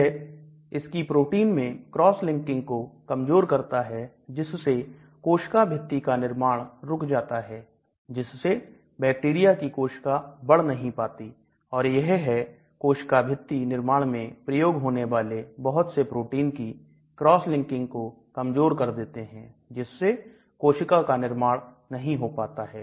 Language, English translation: Hindi, They prevent cross linking within proteins and hence cell walls synthesis so the bacteria cell does not grow because they prevent the cross linking of various proteins that are involved in the cell wall development